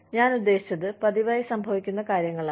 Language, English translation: Malayalam, I mean, things that happen in routine